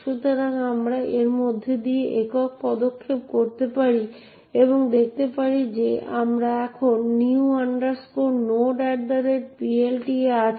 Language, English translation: Bengali, So, we can single step through that and see that we are now in the new node at PLT